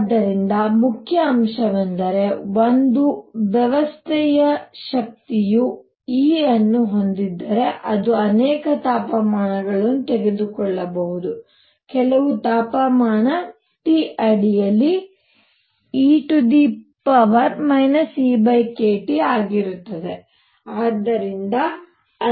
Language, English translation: Kannada, So, the main point is the probability that a system has energy E if it can take many, many values under certain temperature T is e raised to minus E by k T